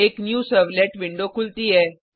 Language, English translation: Hindi, A New Servlet window opens